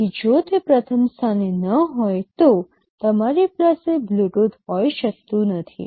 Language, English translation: Gujarati, So, if it is not there in the first place, you cannot have Bluetooth